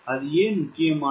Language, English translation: Tamil, why there is important